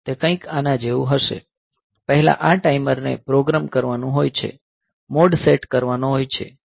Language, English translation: Gujarati, So, the main routine will be something like this; first this timer has to be programmed, the mode has to be set